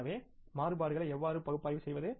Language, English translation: Tamil, So, how do you analyze the variances